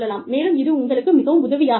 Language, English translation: Tamil, And, that might be, helpful for you